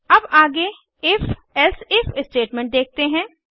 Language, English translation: Hindi, Lets look at the if elsif statement next